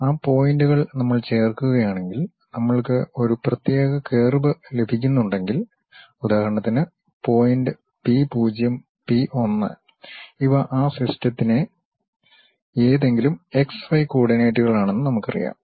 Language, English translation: Malayalam, Those points, if we are joining if we are getting a specialized curve for example, the point p0, p 1 we know these are any x y coordinates of that system